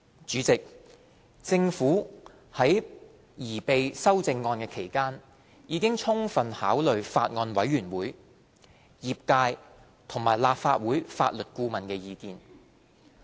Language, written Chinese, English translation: Cantonese, 主席，政府在擬備修正案期間，已充分考慮法案委員會、業界和立法會法律顧問的意見。, Chairman the Government has in the course of preparing the amendments fully considered the views expressed by the Bills Committee the industry and the Legal Adviser of the Legislative Council